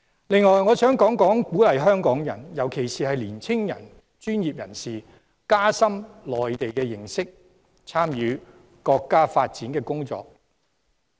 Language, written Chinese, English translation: Cantonese, 另外，我想提出，政府應鼓勵香港人，特別是年青專業人士加深對內地的認識，參與國家發展的工作。, I would also like to suggest the Government to encourage Hong Kong people especially the young professionals to deepen their understanding of the Mainland and to take part in the development of the country